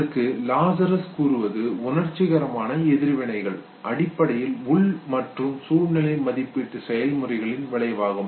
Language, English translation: Tamil, Now Lazarus now said that emotional responses are basically outcome of internal and situational appraisal processes okay